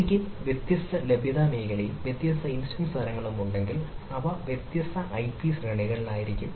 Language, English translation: Malayalam, so if i have different availability zone and different instance types, it is ah likely that they are in the different ip ranges